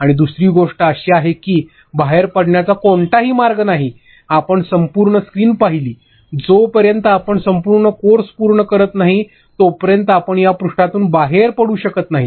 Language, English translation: Marathi, And another thing is that there is no way to exit, you see the entire screen, you cannot exit this page until then unless you finish the entire course